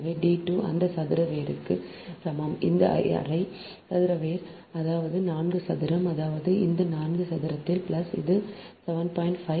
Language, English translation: Tamil, so d two is equal to that square root, this half square root, that is four square